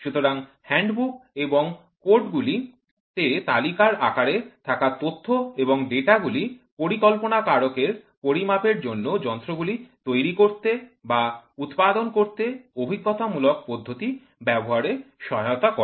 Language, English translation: Bengali, So, the information and the data available in the form of thumb rules in the hand book and codes helps the designer use the empirical method to make or to manufacture devices for measurement